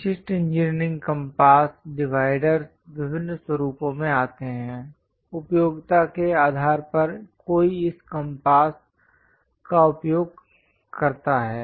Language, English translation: Hindi, So, typical engineering compass dividers come in different formats; based on the application, one uses this compass